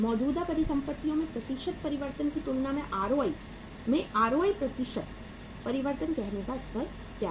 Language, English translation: Hindi, That what is the level of say ROI percentage change in ROI as compared to the percentage change in the current assets